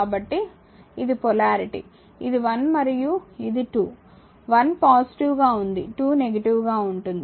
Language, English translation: Telugu, So, this is the polarity this is 1 and this is 2, 1 is positive, 2 is negative